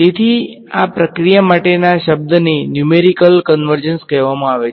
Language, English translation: Gujarati, So, the word for this process is called numerical convergence